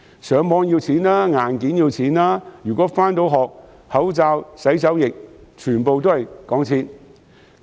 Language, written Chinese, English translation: Cantonese, 上網要錢、硬件要錢；如果能夠上學，口罩、洗手液全部都要錢。, While Internet access and hardware cost money face masks and hand sanitizer which students need for going to school also cost money